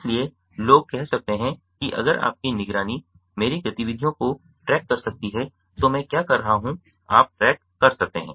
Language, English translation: Hindi, so people can say: if your monitoring my activities, you can track what i am doing